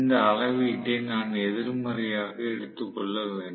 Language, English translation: Tamil, I have to take this reading as negative